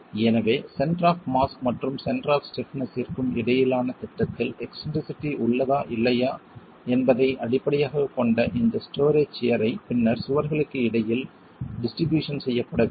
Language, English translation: Tamil, So this story shear based on whether or not there is eccentricity in the plan between the center of mass and center of stiffness will then have to be distributed between the walls